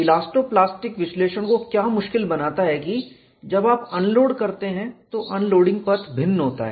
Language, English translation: Hindi, What makes elasto plastic analysis difficult is that when you unload, the unloading path is different